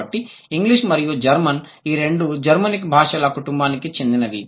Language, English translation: Telugu, So, both English and German, they belong to Germanic family of languages